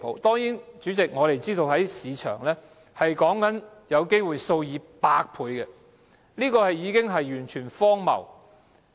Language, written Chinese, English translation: Cantonese, 當然，主席，我們知道市場上的薪酬差距有機會達到數以百倍，這是完全荒謬的。, Of course President we understand that the pay gap in the market may be as wide as hundreds of times which is grossly ridiculous